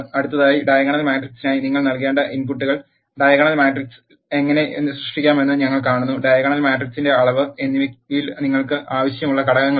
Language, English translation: Malayalam, Next we see how to create diagonal matrix the inputs you have to give for the diagonal matrix is the elements which you want to have in the diagonal and the dimension of the matrix